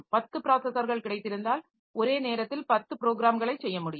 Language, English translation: Tamil, So, if I have got say 10 processors I can do 10 programs simultaneously